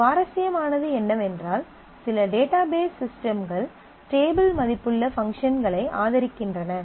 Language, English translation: Tamil, What is interesting is some database systems support functions which are table valued